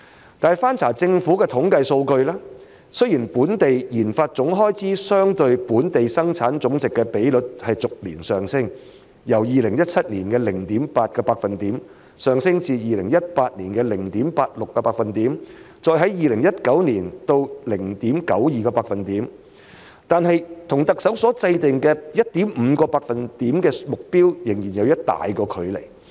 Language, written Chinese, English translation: Cantonese, 然而，翻查政府的統計數據，雖然本地研發總開支相對本地生產總值的比率逐年上升，由2017年的 0.8% 上升至2018年的 0.86%， 再上升至2019年的 0.92%， 但是與特首所制訂的 1.5% 目標仍有一大段距離。, However a review of the Governments statistics shows that although the Gross Domestic Expenditure on RD as a percentage of the Gross Domestic Product has increased year by year from 0.8 % in 2017 to 0.86 % in 2018 and then to 0.92 % in 2019 it is still a long way from the 1.5 % target set by the Chief Executive